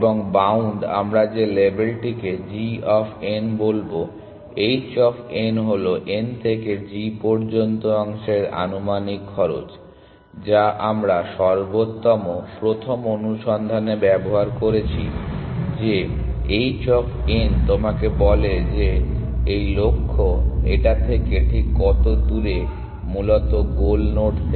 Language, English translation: Bengali, And bound we will that label we will call g of n, h of n is an estimated cost of the segment from n to g, that we have used in best first search that the h of n tells you how far this goal is from this from the goal node essentially